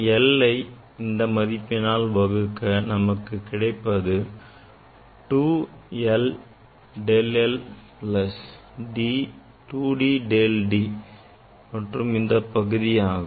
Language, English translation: Tamil, 1 by this 1 by this and then this one will give you 2 l del l plus 2 D del D ok, plus this part